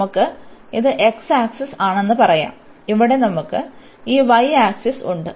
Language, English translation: Malayalam, We have this let us say this is x axis and we have here this y axis